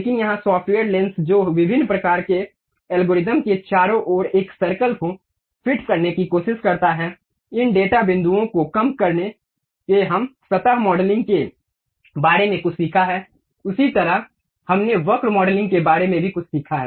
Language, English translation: Hindi, But here software actually lens that different kind of algorithm try to fit a circle around that by minimizing these data points we have learned something about surface modeling similar to that we have learned something about curve modeling also